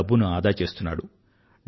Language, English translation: Telugu, He has started saving his money